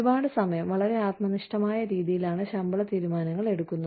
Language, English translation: Malayalam, A lot of time, pay decisions are made, in a very subjective manner